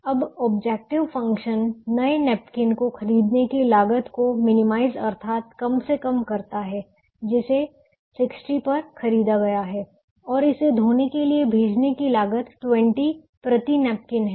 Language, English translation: Hindi, now the objective function is to minimize the cost of buying the new napkins, which are bought at sixty, and the cost of sending it to the laundry, the cost being twenty per napkin